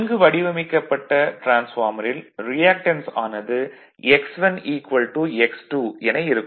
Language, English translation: Tamil, For a well designed transformers generally reactance is X 1 is equal to X 2 referred to any side right